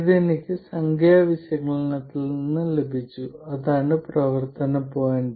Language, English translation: Malayalam, So, this I got from numerical analysis and that is the operating point